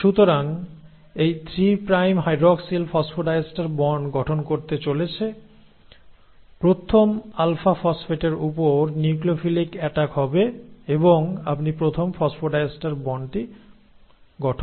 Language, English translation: Bengali, So this 3 prime hydroxyl is then going to form the phosphodiester bond, will have a nucleophilic attack on this, on the first alpha phosphate and hence you get the first phosphodiester bond formed